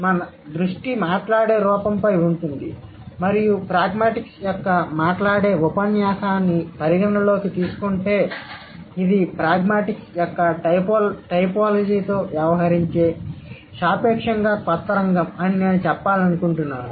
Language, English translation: Telugu, So since we are not focusing much on the written aspect, so our focus is going to be on the spoken form and taking into account the spoken discourse of pragmatics, I would like to say is that this is a relatively young field that deals with typology of pragmatics